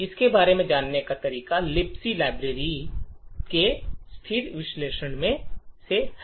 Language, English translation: Hindi, The way to go about it is by static analysis of the libc library